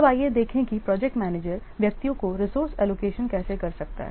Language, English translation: Hindi, Now let's see how the project manager can allocate resources to individuals